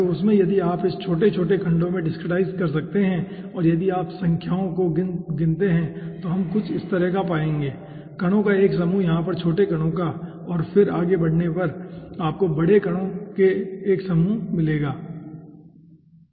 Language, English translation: Hindi, so in that, if you can discretized in small, small segments and if you count the numbers, then we will be finding out something like this: a group of particles, smaller particles over here, and then, progressing on here, you will be finding out a group of larger particles